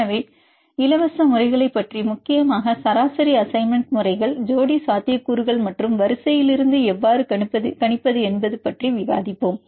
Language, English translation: Tamil, So, we will discuss the free methods mainly the average assignment methods, pair potentials as well as how to predict from the sequence